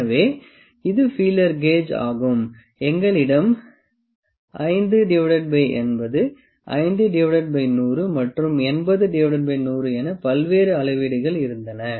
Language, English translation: Tamil, So, this was the feeler gauge, we had various the measure sets as 5 to 80, 5 by 100, 80 by 100